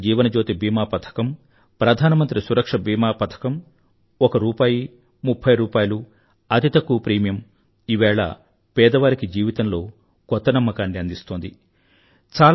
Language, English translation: Telugu, Schemes like, Pradhan Mantri Jeewan Jyoti Bima Yojna, Pradhan Mantri Suraksha Bima Yojna, with a small premium of one rupee or thirty rupees, are giving a new sense of confidence to the poor